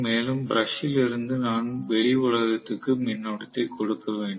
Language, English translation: Tamil, And from the brush I will have to collect the current to the external world